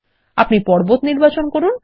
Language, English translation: Bengali, Let us select the mountain